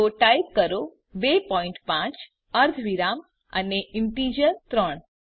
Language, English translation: Gujarati, So type 2.5 comma and an integer 3